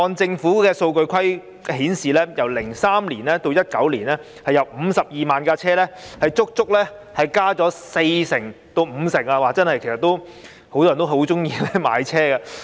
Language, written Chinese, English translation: Cantonese, 政府的數據顯示，由2003年至2019年，汽車的數目由52萬輛足足增加了四成至五成，很多人也喜歡買車。, As shown by the Governments figures from 2003 to 2019 the number of cars increased by 40 % to 50 % from 520 000 . Many people are keen on buying cars